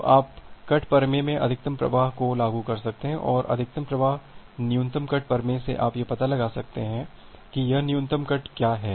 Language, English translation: Hindi, So, you can apply the max flow in cut theorem and from the max flow min cut theorem you can find out what is the minimum cut here